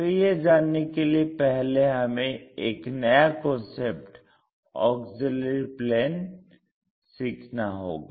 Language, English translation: Hindi, If that is the case, let us first learn about a new concept name auxiliary planes